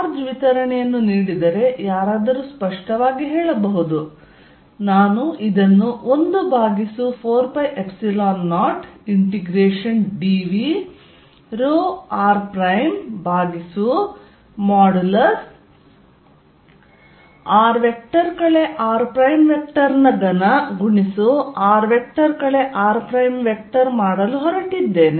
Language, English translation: Kannada, One is obviously going to say that given a charge distribution, I am just going to do this E at r is going to be 1 over 4 pi Epsilon 0 integration dv rho r prime over r minus r prime r minus r prime cubed here